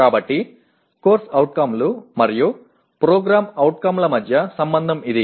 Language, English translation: Telugu, So that is the relationship between COs and POs